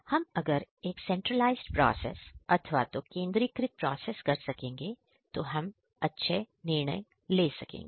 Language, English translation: Hindi, And if we can have a process by which centralized decisions can be made